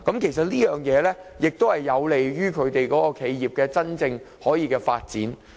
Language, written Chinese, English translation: Cantonese, 其實，德國的做法有利於企業的真正發展。, This practice in Germany is truly conducive to company development